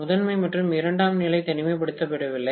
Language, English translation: Tamil, The primary and secondary are not isolated